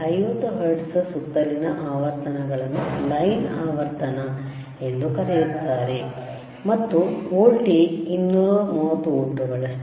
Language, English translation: Kannada, Frequencies around 50 hertz is also called line frequency and the voltage was 230 volts